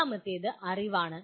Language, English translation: Malayalam, The second one is knowledge